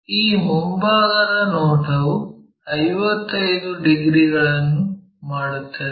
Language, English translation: Kannada, And, this front view makes 55 degrees